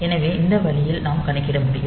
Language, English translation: Tamil, So, it is calculated in this fashion